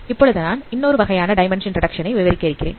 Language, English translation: Tamil, So I will be now discussing another another type of dimension reduction